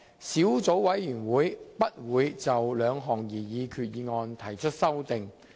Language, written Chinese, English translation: Cantonese, 小組委員會不會就兩項擬議決議案提出修訂。, The Subcommittee will not propose any amendments to the two proposed resolutions